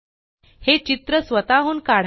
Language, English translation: Marathi, Create this picture on your own